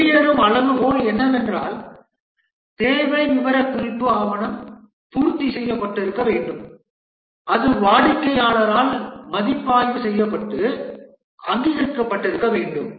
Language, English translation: Tamil, The exit criteria is that the requirement specification document must have been completed, it must have been reviewed and approved by the customer